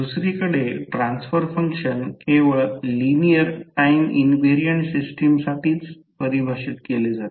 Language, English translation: Marathi, While transfer function on the other hand are defined only for linear time invariant system